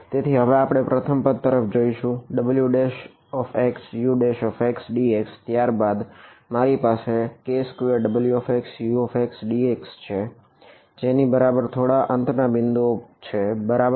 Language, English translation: Gujarati, So now, we will look at the first term minus w prime x u prima x d x then I had a k squared k squared w x u x d x is equal to something endpoints ok